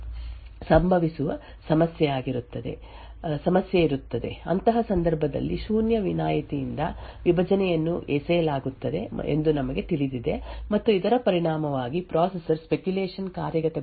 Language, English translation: Kannada, So, there would be a problem that would occur if r1 happens to be equal to 0, in such a case we know that a divide by zero exception would be thrown and as a result the processor would need to discard the speculated execution